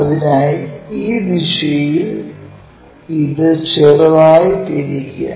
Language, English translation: Malayalam, So, the slightly rotate this in this direction